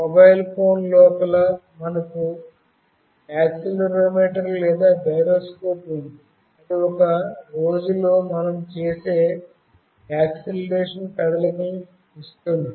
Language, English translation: Telugu, Inside our mobile phone, we have an accelerometer or a gyroscope, which gives us the acceleration movement that we make in a day